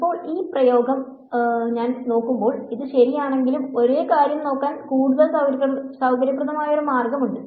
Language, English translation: Malayalam, Now, when I look at this expression while this is correct there is a more convenient way of looking at the same thing